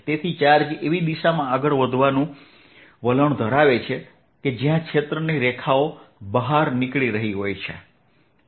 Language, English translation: Gujarati, so a charge will tell to move in the direction where the field lines are going out